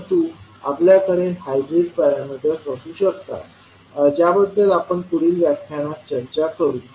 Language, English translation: Marathi, But we can have the hybrid parameters which we will discuss in the next lectures